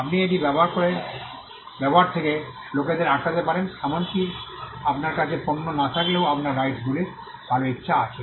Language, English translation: Bengali, You could stop people from using it; even if you do not have products because your rights have good will